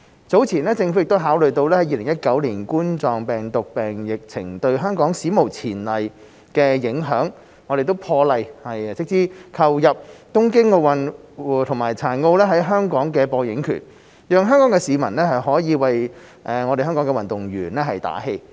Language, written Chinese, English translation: Cantonese, 早前，政府考慮到2019冠狀病毒病疫情對香港史無前例的影響，破例斥資購入東京奧運和殘奧在香港的播映權，讓香港市民可以為香港運動員打氣。, Earlier the Government considered the unprecedented impact of the COVID - 19 epidemic on Hong Kong and made an exception to acquire the broadcasting rights of the Tokyo Olympics and the Tokyo Paralympic Games for Hong Kong so that the public could support and cheer for the athletes